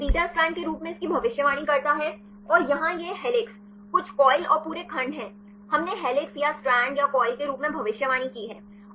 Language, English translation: Hindi, So, it predicts this as a beta strand and here this is the helix, some coil and the whole segment; we predicted as helix or stand or coil